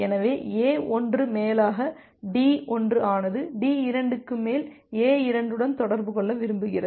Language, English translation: Tamil, So, A1 over D1 wants to communicate with A2 over D3